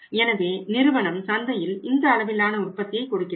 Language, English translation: Tamil, So, company has given it to the market that we have this much of the production